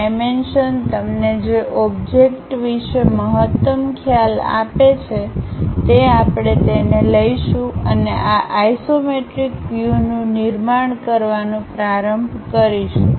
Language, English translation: Gujarati, Whatever the dimensions give you maximum maximum idea about the object that one we will take it and start constructing these isometric views